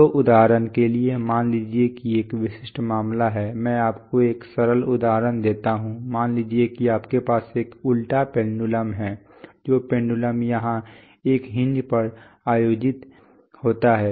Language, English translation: Hindi, So for example, suppose there is an typical case, let me give you a simple example, suppose you have an inverted pendulum, the pendulum which is held here on a hinge right